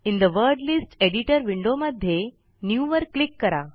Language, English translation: Marathi, In the Word List Editor window, click NEW